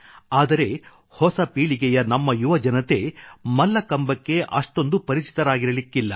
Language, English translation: Kannada, However, probably our young friends of the new generation are not that acquainted with Mallakhambh